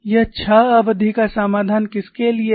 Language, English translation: Hindi, This is a 6 term solution, for what